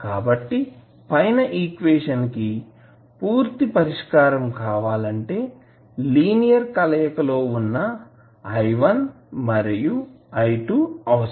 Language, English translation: Telugu, So, for the complete solution of the above equation we would require therefore a linear combination of i1 and i2